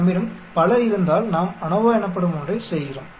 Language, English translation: Tamil, And if we have many, then we perform something called ANOVA